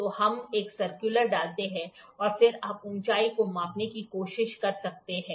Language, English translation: Hindi, So, we put a circular one and then you can try to measure the height